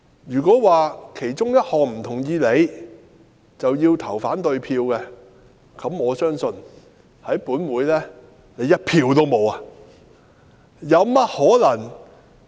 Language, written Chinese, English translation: Cantonese, 如果不同意其中一項便要投反對票，我相信政府在立法會一票也不會有。, If Members should cast an opposition vote if they take exception to just one of the proposals I think the Government will not have even one vote in the Legislative Council